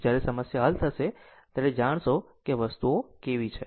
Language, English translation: Gujarati, When we will solve the problem, we will know how things are right